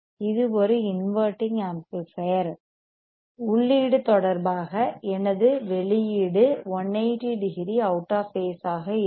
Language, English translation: Tamil, This right is an inverting amplifier inverting amplifier; that means, that; that means, that, my output would be output would be 180 degree0 out of phase with respect to input